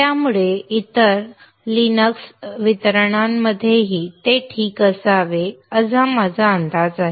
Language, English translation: Marathi, So I guess that it should be fine even in other Linux distributions